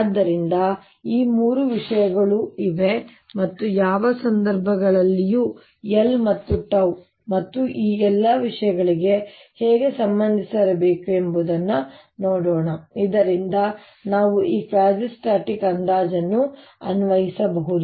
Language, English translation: Kannada, so these three things are there and let us see under what circumstances how should l and tau or all this thing should be related so that we can apply this quazi static approximation